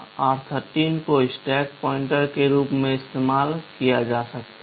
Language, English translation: Hindi, r13 can be used as stack pointer